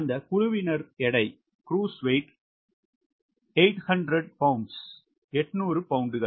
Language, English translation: Tamil, that crew weight is eight hundred pound